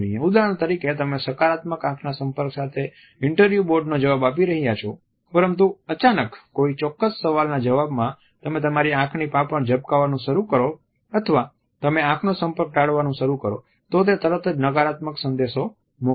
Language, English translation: Gujarati, For example, you have been facing the interview board with a positive eye contact, but suddenly in answer to a particular question you start blinking or you start avoiding the gaze, then it would send negative messages immediately